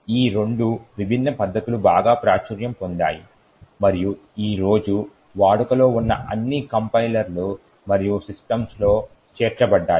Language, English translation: Telugu, Both these different techniques are very popular and have been incorporated in all compilers and systems that are in use today